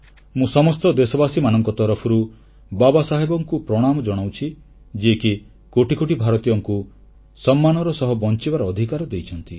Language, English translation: Odia, I, on behalf of all countrymen, pay my homage to Baba Saheb who gave the right to live with dignity to crores of Indians